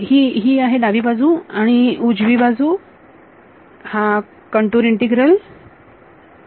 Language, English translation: Marathi, This is the left hand side and the right hand side is that contour integral ok